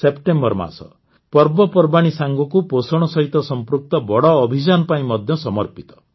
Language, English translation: Odia, The month of September is dedicated to festivals as well as a big campaign related to nutrition